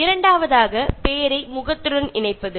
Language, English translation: Tamil, And the second one by tying the name to the face, okay